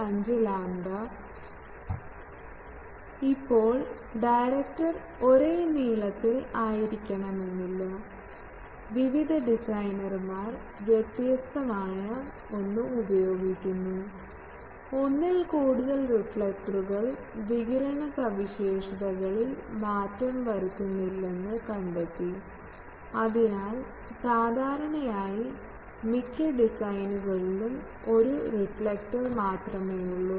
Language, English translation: Malayalam, 25 lambda not now the directors are not necessarily of the same length and dia various designers use different a thing and it has been found that more than one reflector does not change the radiation characteristics So, usually in most of the design there is only one reflector